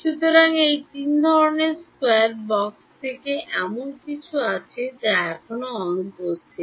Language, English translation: Bengali, So, from these three sort of square boxes is there something that is missing still